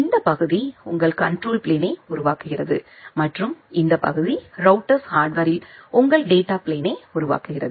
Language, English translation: Tamil, And this part constitutes your control plane and this part constitutes your data plane in the router hardware